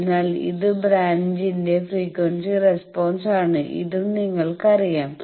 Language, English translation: Malayalam, So, this is the frequency response of the branches, this also you know